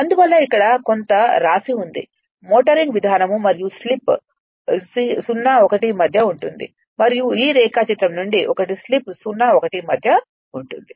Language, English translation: Telugu, So, that is why some write up is here, the motoring mode and slip will lie in between 0 and one from this diagram you see slip will lie in between 0 and here it is 1 right